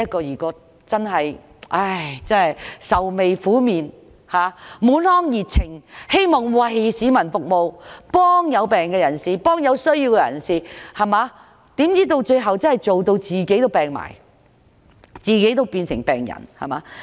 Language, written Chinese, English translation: Cantonese, 他們本來滿腔熱情，希望為市民服務，幫助病人或有需要的人，豈料最後卻勞碌得連自己也倒下，變成病人。, They were initially very passionate wishing to serve the public and helping the patients or people in need but it turns out they are so tired out they become patients as well